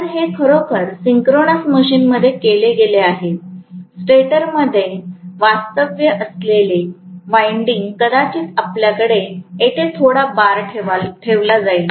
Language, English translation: Marathi, So, it is really done in a synchronous machine, the winding what is actually residing in the stator, maybe you will have a few bar kept here